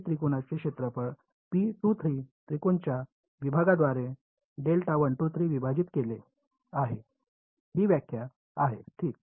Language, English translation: Marathi, It is the area of triangle P 2 3 divided by area of triangle 1 2 3 this is the definition ok